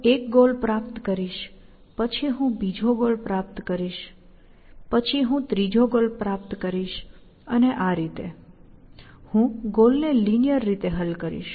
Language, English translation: Gujarati, I will achieve one goal, then I will achieve the second goal, then I will achieve the third goal, and so on; I will solve goals in a linear fashion, essentially